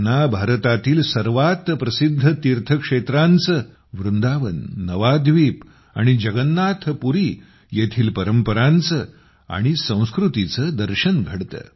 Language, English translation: Marathi, They get to see glimpses of the most famous pilgrimage centres of India the traditions and culture of Vrindavan, Navaadweep and Jagannathpuri